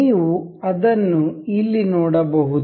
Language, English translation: Kannada, You can see here